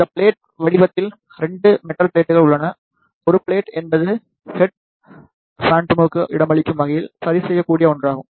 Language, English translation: Tamil, This plate form contains 2 little plates; one plate is the adjustable one to accommodate the head phantom